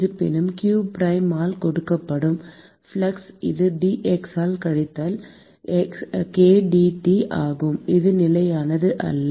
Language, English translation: Tamil, However, the flux which is given by q prime which is minus k dT by dx, this is not a constant